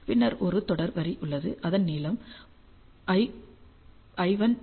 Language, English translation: Tamil, And then I will have a series line with length l 1 equal to 0